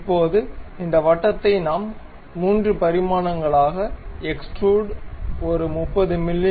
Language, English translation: Tamil, Now this circle we extrude it in 3 dimensions may be making it some 30 mm